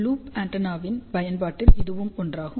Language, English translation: Tamil, This is one of the application of the loop antenna